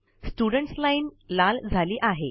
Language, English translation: Marathi, The Student Line has become red